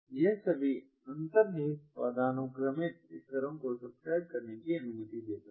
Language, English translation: Hindi, it allows to subscribe to all underlying hierarchical levels